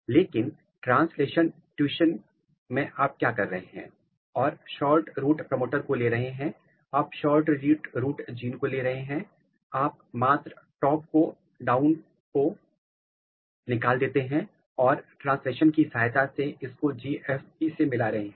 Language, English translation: Hindi, But, in translational fusion what you are doing you are making, you are taking SHORTROOT promoter, you are taking SHORTROOT gene and you are just removing the stop codon and translationally fusing with GFP